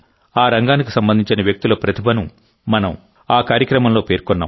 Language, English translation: Telugu, In that program, we had acknowledged the talent of the people associated with this field